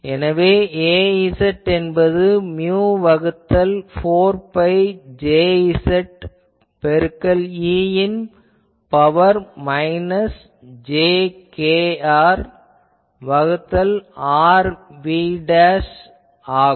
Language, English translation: Tamil, So, we saw that Az gives mu by 4 pi Jz e to the power minus jkr by r dv dashed ok